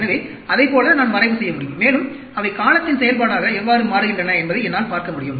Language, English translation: Tamil, So, like that, I could plot and I could look at how they change as the function of time